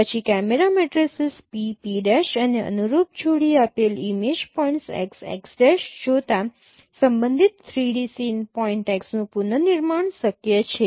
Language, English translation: Gujarati, Then given a camera matrices P, p prime and a corresponding pair of image points x x prime, it is possible to reconstruct the respective 3D sim point x